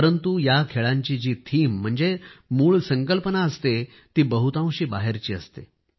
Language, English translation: Marathi, But even in these games, their themes are mostly extraneous